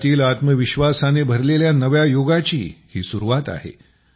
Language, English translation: Marathi, This is the beginning of a new era full of selfconfidence for the country